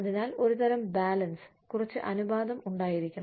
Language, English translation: Malayalam, So, there has to be, some sort of balance, some ratio